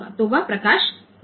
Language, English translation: Hindi, So, that light will be 1